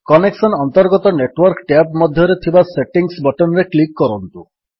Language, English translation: Odia, Within the Network tab, under Connections, click on the Settings button